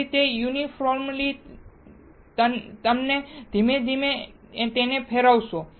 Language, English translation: Gujarati, Then it is a uniformly it to be slowly rotated